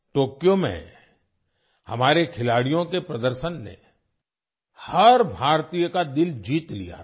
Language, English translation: Hindi, The performance of our players in Tokyo had won the heart of every Indian